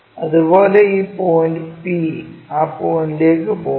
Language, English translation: Malayalam, Similarly, this point p comes there all the way goes to that point